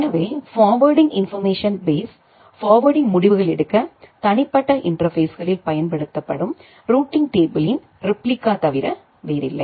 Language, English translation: Tamil, So, the forwarding information base is nothing but a replica of the routing table used at the individual interfaces for making the forwarding decision